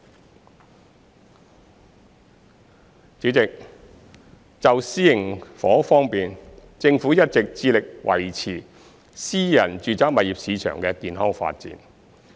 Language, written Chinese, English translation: Cantonese, 代理主席，就私營房屋方面，政府一直致力維持私人住宅物業市場的健康發展。, Deputy President in respect of private housing the Government has been committed to maintaining the healthy development of the private residential property market